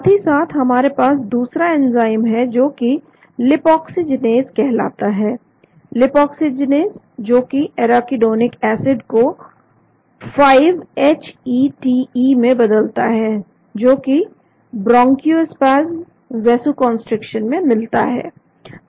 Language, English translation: Hindi, Simultaneously, we also have another enzyme called lipoxygenase, lipoxygenase which converts the arachidonic acid into 5 HETE which is involved in bronchospasm, vasoconstriction